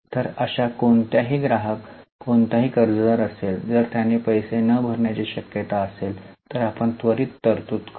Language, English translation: Marathi, So, any customer, any debtor, if is likely to not pay, we will immediately make a provision